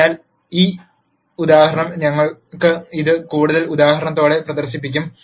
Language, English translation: Malayalam, So, we will demonstrate this example this with a further example